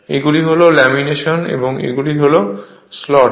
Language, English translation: Bengali, These are the laminations and these are the slots right